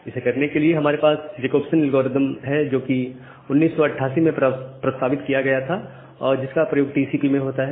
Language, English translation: Hindi, So, to do that we have something called the Jacobson algorithm proposed in 1988 which is used in TCP